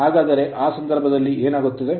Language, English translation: Kannada, And in that case what will happen